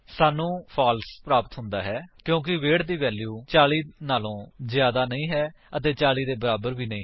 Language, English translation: Punjabi, We get a false because the value of weight is not greater than 40 and also not equal to 40